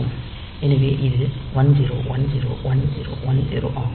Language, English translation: Tamil, So, it will become 1003